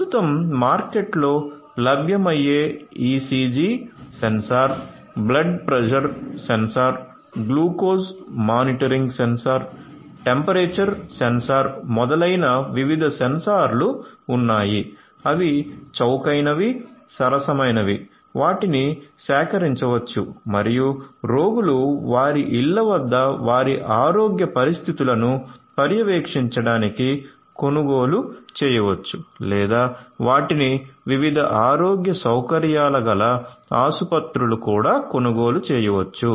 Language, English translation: Telugu, There are different sorry there are different sensors such as the ECG sensor, blood pressure sensor, glucose monitoring sensor, temperature sensor etcetera that are currently available in the market, that can be that are those are cheap affordable and can be procured can be purchased by the patients themselves for monitoring their health conditions at their homes or those could be also purchased by different healthcare facilities hospitals and so on